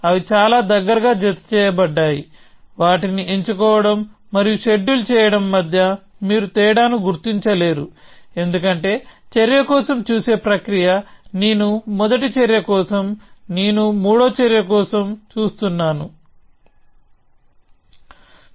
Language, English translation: Telugu, They are sort of so closely coupled that you cannot distinguish between the fact of choosing and scheduling them, because the process of looking for action says that I am looking for the first action, then I am looking for the second action, then I am looking for the third action